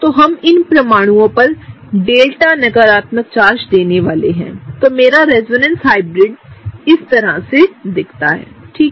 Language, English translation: Hindi, So, what we are going to do is, we are gonna give delta negative on both of these atoms; that’s how my resonance hybrid looks, right